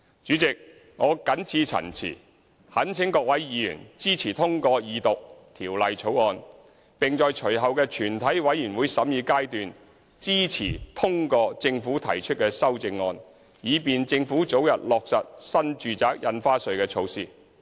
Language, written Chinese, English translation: Cantonese, 主席，我謹此陳辭，懇請各位議員支持通過二讀《條例草案》，並在隨後的全體委員會審議階段支持通過政府提出的修正案，以便政府早日落實新住宅印花稅措施。, President with these remarks I call upon Members to support the Second Reading of the Bill as well as the CSAs proposed by the Government in the Committee stage so that the Government can implement NRSD as soon as possible